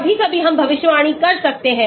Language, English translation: Hindi, Sometimes, we can predict